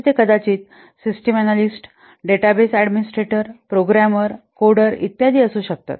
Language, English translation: Marathi, They could be, that could be system analyst, database administrators, programmers, code, etc